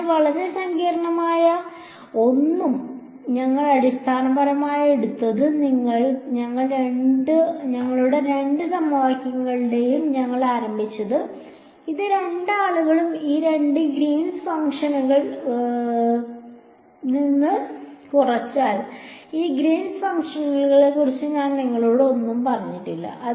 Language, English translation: Malayalam, So, nothing very complicated we basically took our we started with our two equations over here these two guys, subtracted with these two greens functions I have not told you anything about these greens function